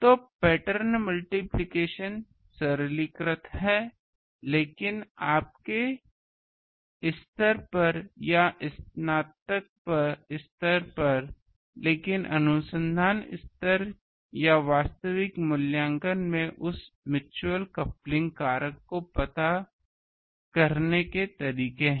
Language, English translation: Hindi, So, pattern multiplication is a simplified one, but at your level under graduate level or graduate level that is, but in the research level or actual evaluation that there are ways to factor in to that mutual coupling factor